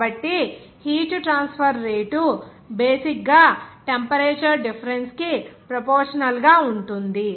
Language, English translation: Telugu, So, rate of heat transfer basically will be proportional to the temperature difference